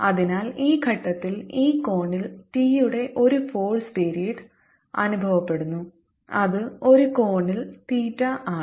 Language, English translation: Malayalam, so t remains the same and therefore at this point this point feels a force period of t at this angle, which is at an angle theta